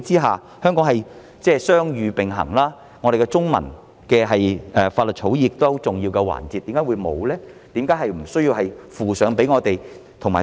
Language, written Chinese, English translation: Cantonese, 香港是雙語並行的，我們的中文法律草擬是很重要的環節；在這樣的背景之下，為何會沒有呢？, Bilingualism is practised in Hong Kong and our Chinese law drafting is part and parcel of it . Against this backdrop why is it non - existent?